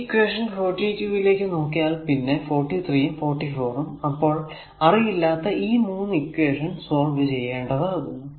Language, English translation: Malayalam, So, if you look into that that equation 42, equation 43 and 44 that 3 unknown and 3 equations we have to solve it